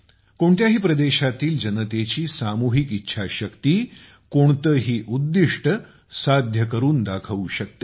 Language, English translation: Marathi, The collective will of the people of a region can achieve any goal